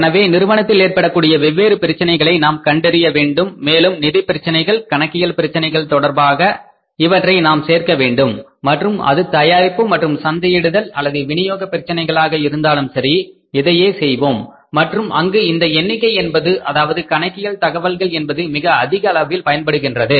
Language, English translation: Tamil, So, we have to find out the different problems happening in the firm and then we have to plug these with regard to financial problems, accounting problems and even if it is manufacturing and marketing or the distribution related problems we will have to and there the numbers help figures help and accounting information help to a larger extent